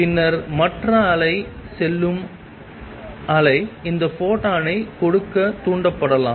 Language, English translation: Tamil, And then the wave going the other wave may stimulated to give out that photon